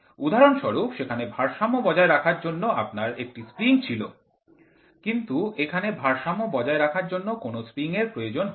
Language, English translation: Bengali, For example, there you had a spring to balance in this you do not have spring to balance